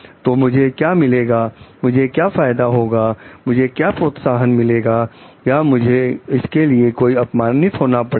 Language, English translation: Hindi, So, what do I get, what benefits do I get, what incentive do I get is it not I get totally harassed for it